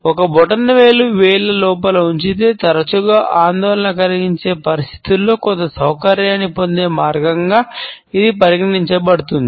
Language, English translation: Telugu, When a thumb has been tucked inside the fingers, it is often considered a way to find certain comfort in an otherwise anxious situation